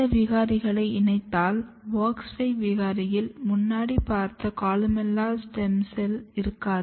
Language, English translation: Tamil, Then if you combine this mutant, if you look the wox5 mutants as you see earlier in wox5 mutant, you do not have columella stem cells